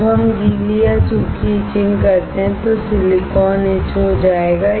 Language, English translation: Hindi, When we perform wet etching or dry etching, the silicon will get etched